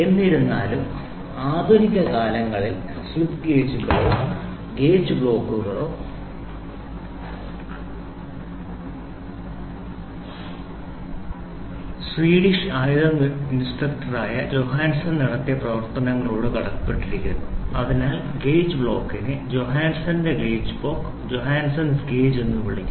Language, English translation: Malayalam, However, in modern days slip gauges or gauge blocks owe their existence to the pioneering work done by Johansson, a Swedish armoury inspector therefore, the gauge block is sometime called as Johanasson’s gauge